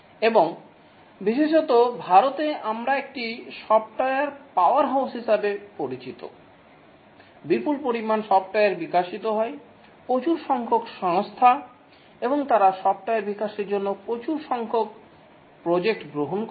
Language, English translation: Bengali, We encounter software in many places and especially in India, we are known as a software powerhouse, huge amount of software gets developed, large number of companies and they undertake large number of projects to develop software